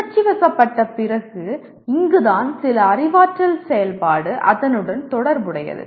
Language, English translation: Tamil, This is where after emoting, recognizing this is where some cognitive activity is associated with that